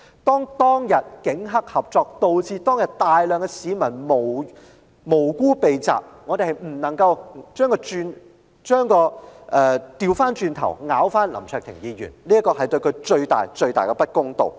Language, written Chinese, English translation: Cantonese, 當天警黑合作，以致大量無辜市民遇襲，我們不能夠反咬林卓廷議員一口，這會對他造成最大的不公。, The attack on large numbers of innocent people was a result of police - triad collusion that day . We cannot point the finger at Mr LAM Cheuk - ting instead because this is the most unfair to him